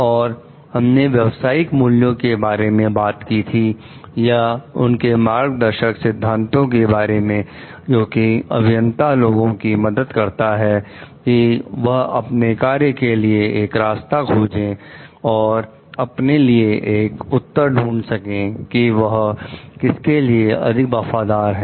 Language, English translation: Hindi, And we have talked about like the professional values or the guiding principles which helps the people engineers to like find out a path of their action and to find out the answer for their, whom they should be more loyal to